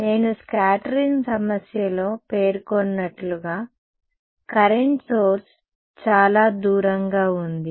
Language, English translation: Telugu, As I mentioned in the scattering problem, the current source is far away